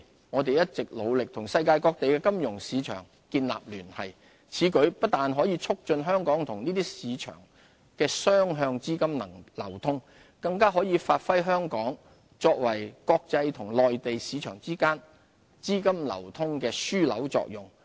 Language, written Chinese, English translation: Cantonese, 我們一直努力與世界各地的金融市場建立聯繫，此舉不但可促進香港與這些市場的雙向資金流通，更可發揮香港作為國際與內地市場之間資金流通樞紐的作用。, Apart from facilitating two - way capital flows between Hong Kong and these markets this will enable Hong Kong to demonstrate its role as a hub for capital flows between the Mainland and global markets